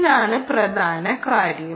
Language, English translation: Malayalam, ok, this is the key point